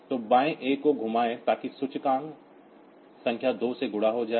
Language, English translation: Hindi, So, rotate left a, so that will be multiplying the index number by 2